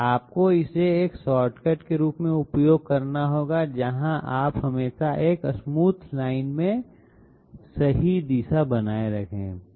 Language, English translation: Hindi, You have to use this as a shortcut where you always maintain the correct direction along in a smooth line